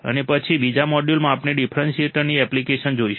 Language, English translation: Gujarati, And then in another module, we will see application of an differentiator